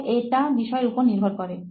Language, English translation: Bengali, It depends on your subject interest